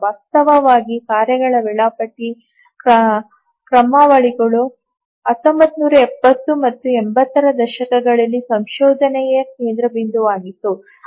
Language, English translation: Kannada, Actually, task scheduling algorithms were the focus of the research in the 1970s and 80s